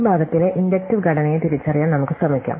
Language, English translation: Malayalam, So, let’s try and identify the inductive structure in this part